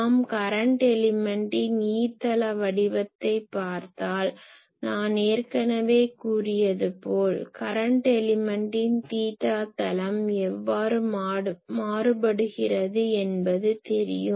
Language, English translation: Tamil, So, we can go back and , if we look at the e plane pattern of the current element that we have already seen , as I already said the current element means that in the theta plane how it is varying